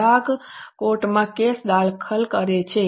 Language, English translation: Gujarati, Customer files a case in the court